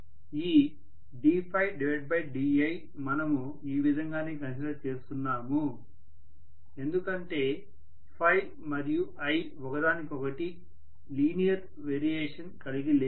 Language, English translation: Telugu, This d phi by di we are considering this way only because we are assuming that, that phi and i do not have a linear variation with each other